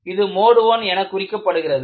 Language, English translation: Tamil, This is labeled as Mode I